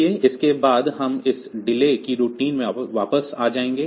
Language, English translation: Hindi, So, after this after we have returned from this delay routine